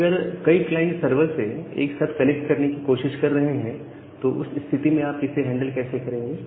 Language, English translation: Hindi, Now, if multiple clients are trying to connect to the server simultaneously, then how will you handle that thing